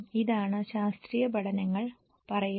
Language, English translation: Malayalam, This is what the scientific studies are saying